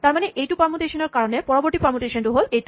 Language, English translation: Assamese, Therefore, this means that for this permutation the next permutation is this one